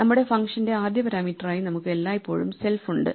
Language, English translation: Malayalam, We always have the self as the first parameter to our function